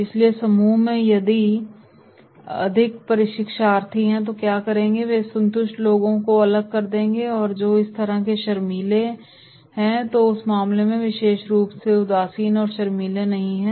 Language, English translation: Hindi, So in the group if more learners are there then what they will do, they will isolate the disinterested and those who are shy so then in that case, especially disinterested and not for shy